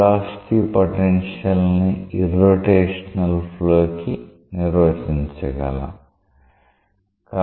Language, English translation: Telugu, When the velocity potential is defined for irrotational flow